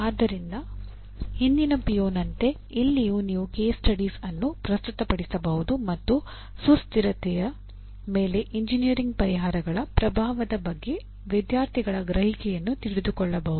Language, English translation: Kannada, So like the earlier PO, here also through case studies you can present the case study and ask the student to do what do you call ask his perception of the impact of engineering solutions on sustainability